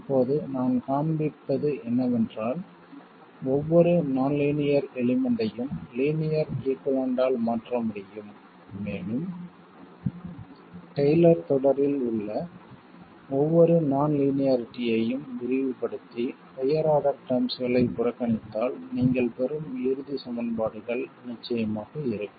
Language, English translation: Tamil, Now, what I will show is that every nonlinear element can be replaced by a linear equivalent and the resulting equations will of course be the same as what you would get if you expanded every non linearity in a Taylor series and neglected higher order terms